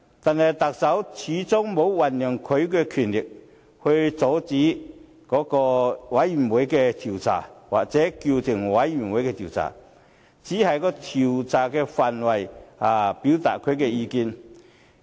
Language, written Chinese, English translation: Cantonese, 但是，特首始終沒有運用他的權力阻礙專責委員會的調查，又或叫停專責委員會的調查，他只是對調查範圍表達意見。, But after all the Chief Executive has not used his powers to obstruct or suspend the inquiry of the Select Committee . He was just expressing his views on the scope of inquiry